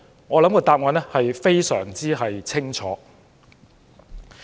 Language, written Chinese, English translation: Cantonese, 我認為答案相當清楚。, I think the answer is very obvious